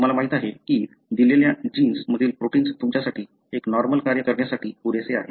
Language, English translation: Marathi, Even half the amount of, you know, protein of a given gene is good enough for you to do, do a normal function